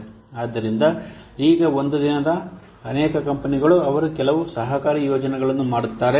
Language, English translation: Kannada, So, nowadays many companies, they do some collaborative projects